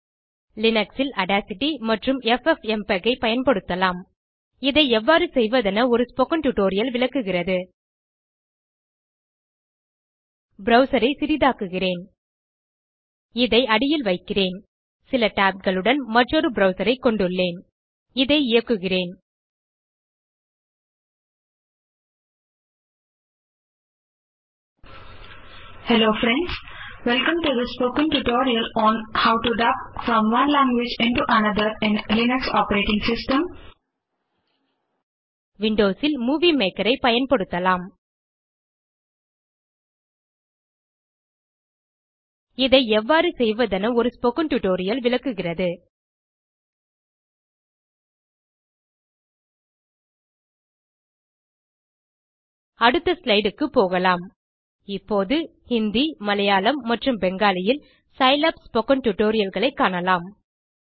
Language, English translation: Tamil, On Linux, we can use Audacity and ffmpeg A spoken tutorial explains how to do this Let me minimise this browser Underneath this, I have another browser with several tabs Let me play this: Recording plays On Windows, we can use Movie Maker A spoken tutorial explains how to do this Let us go to the next slide We will now see Scilab spoken tutorials in Hindi, Malayalam and Bengali